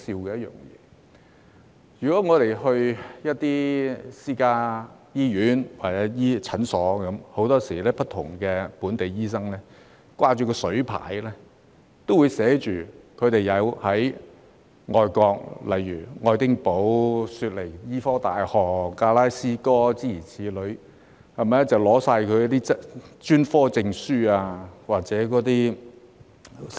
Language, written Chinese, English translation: Cantonese, 在私家醫院或診所，很多本地醫生都會掛水牌，顯示他們在外國，例如愛丁堡大學、悉尼大學、格拉斯哥大學等修讀的專科證書或院士資格。, No matter in private hospitals or clinics many local doctors will display a qualification plate showing their specialist certificates or fellowships awarded by overseas institutions such as the University of Edinburgh the University of Sydney and the University of Glasgow